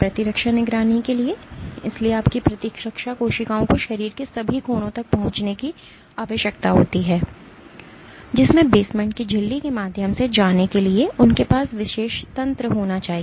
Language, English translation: Hindi, For immune surveillance, so your immune cells need to reach out to all corners of the body they should have special mechanisms to be go through the basement membrane